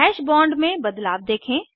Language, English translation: Hindi, Observe the changes in the Hash bond